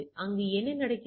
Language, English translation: Tamil, So, what it happens